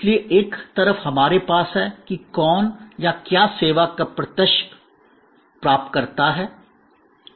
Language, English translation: Hindi, So, we have here on one side, that who or what is the direct recipient of the service